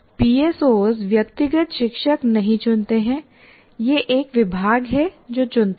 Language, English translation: Hindi, PSOs, individual teacher doesn't choose, it is a department that chooses